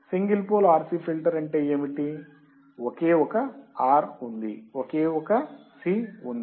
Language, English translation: Telugu, What is single pole RC filter, there is only one R, there is only one C